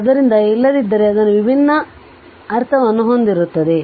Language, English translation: Kannada, So, otherwise it will it will carry it will carry different meaning right